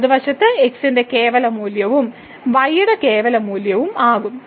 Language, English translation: Malayalam, So, the right hand side will become 2 absolute value of and absolute value of